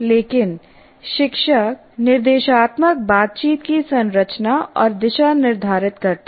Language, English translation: Hindi, But teacher determines the structure and direction of instructional conversations